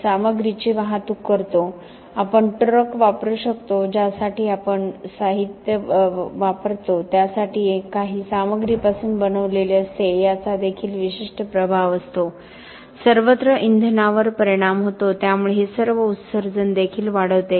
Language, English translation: Marathi, We transport the material, we can use trucks we use materials for with the truck has to we made of some materials this also has certain impact, the fuel everywhere has impact so all this gives rise to emissions also